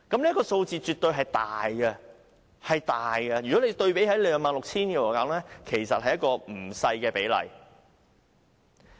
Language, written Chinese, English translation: Cantonese, 這個數字絕對是大的，相對於總數 26,000 支，是一個不小的比例。, Compared to 26 000 steel bars in total the number was not a small one and the ratio was high